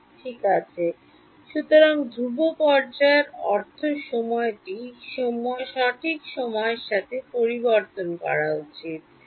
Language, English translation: Bengali, Right; so, constant phase means phase should not change with time right